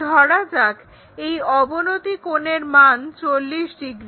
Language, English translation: Bengali, So, perhaps the inclination angle 40 degrees